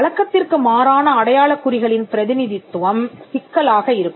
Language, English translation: Tamil, Representation of unconventional marks can be problematic